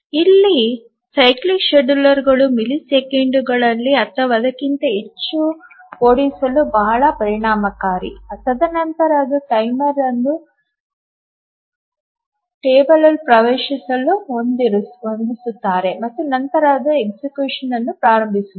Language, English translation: Kannada, So, here the cyclic schedulers are very efficient run in just a millisecond or so and then they just set the timer, access the table and then they start the education